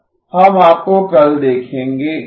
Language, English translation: Hindi, We will see you tomorrow